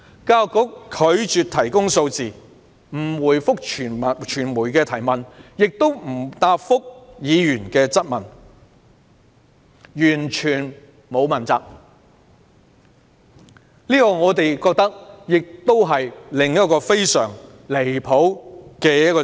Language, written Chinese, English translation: Cantonese, 教育局拒絕提供數字，既不回覆傳媒的提問，亦不答覆議員的質詢，一副完全不打算問責的姿態，實在太不合理。, The Education Bureau has refused to provide the figure and responded neither to queries from the media nor to Members questions . It is all too unreasonable for the Education Bureau to maintain an attitude of unaccountability